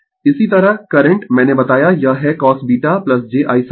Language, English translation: Hindi, Similarly, current I told you it is I cos beta plus j I sin beta